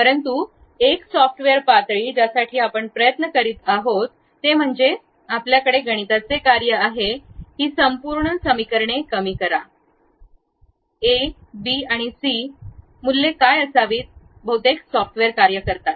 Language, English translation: Marathi, But a software level, what we are trying to do is we straight away have a mathematical functions, minimize these entire equations based on what should be the a, b, c values, that is the way most of the software works